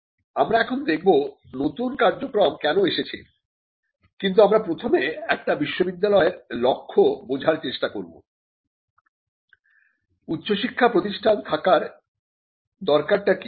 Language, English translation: Bengali, Now, we will look at why these new functions have come, but first we need to understand what’s the purpose of a university was or why did we have higher learning institutions in the first place